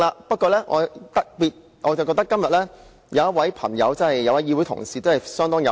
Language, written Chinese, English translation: Cantonese, 不過，我認為今天議會內某位同事相當有趣。, Nevertheless I find one Honourable colleague has behaved in a very interesting manner in the Chamber today